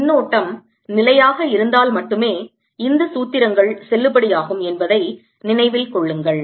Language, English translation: Tamil, remember, these formulas are valid only if the current is steady